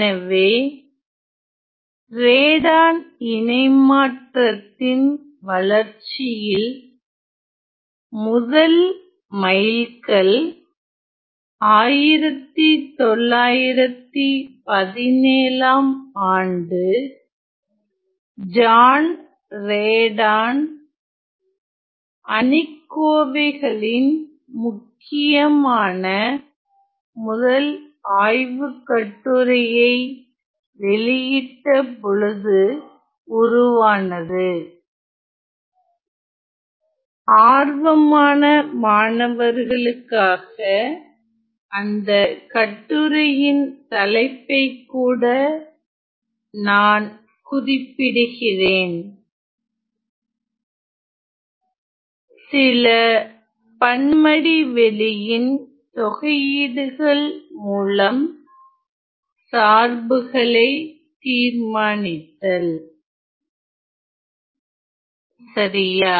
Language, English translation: Tamil, So, the first landmark in the development of Radon transform was in 1917 with where it where the first paper by John Radon was published on determinants well that I for students were curious I am going to write down even the topic of the paper; on determination of functions from integrals along certain manifolds ok